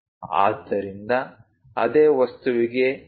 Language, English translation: Kannada, So, for the same object the 2